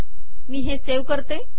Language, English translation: Marathi, Let me save this